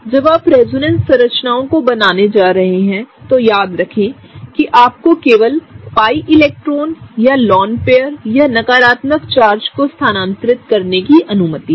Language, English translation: Hindi, Again when you are drawing resonance structures remember, that you are allowed to move only the pi electrons or the lone pair or the charges, right, charges also the negative charges, right